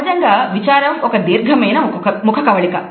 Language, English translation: Telugu, Usually sadness is a longer facial expression